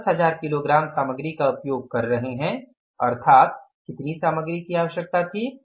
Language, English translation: Hindi, We are using 10,000 kages of the material means how much material was required